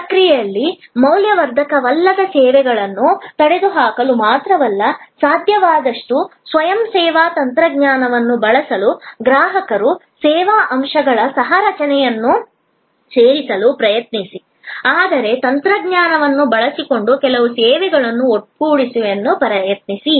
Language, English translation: Kannada, In the process try to, not only eliminate non value adding services, use as much of self service technology as possible, include customers co creation of the service elements, but try also to bundle some services using technology